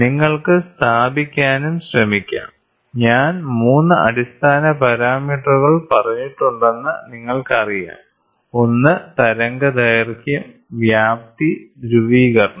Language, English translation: Malayalam, So, now that you can also try to place, you know I have said 3 basic parameters, one is wavelength, amplitude and then you have the polarization